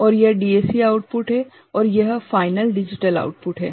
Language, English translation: Hindi, And this is the DAC output and this is final digital output